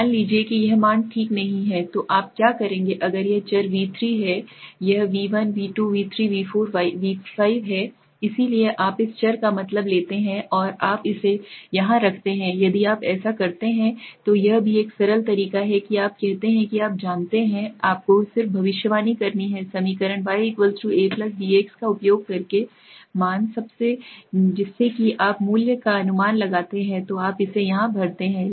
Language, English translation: Hindi, Suppose this value get not filled up okay then what you do is if the this variables is suppose V3 okay this is V1 V2 V3 V4 V5 okay so you take the mean of this variable and you place it here so if you do that that is also a simple way regression you say you know you just have to predict the value by using equation y=a+bx so you predict the value then you fill it up here